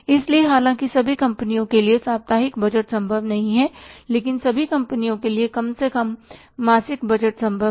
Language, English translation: Hindi, So, though the weekly budget is, budgeting is not possible for all the companies, but at least monthly budgeting, monthly budgeting is possible for all the companies